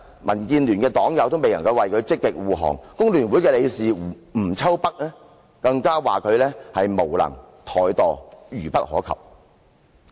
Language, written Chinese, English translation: Cantonese, 民建聯黨友未能為他積極護航，工聯會理事吳秋北更批評他無能和怠惰，愚不可及。, Members from DAB cannot actively protect him and Stanley NG Chairman of the Hong Kong Federation of Trade Unions even criticized that he was incompetent insolent and very foolish